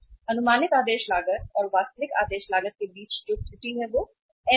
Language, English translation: Hindi, Error between estimated ordering cost and actual ordering cost that is n